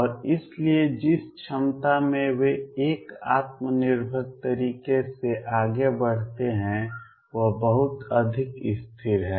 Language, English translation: Hindi, And therefore, the potential in which they move in a self consistent manner is very much constant